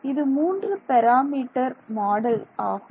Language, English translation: Tamil, These are three it is a three parameter model